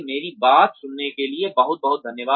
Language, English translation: Hindi, Thank you very much for listening to me